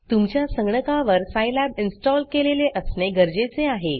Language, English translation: Marathi, The prerequisites are Scilab should be installed on your system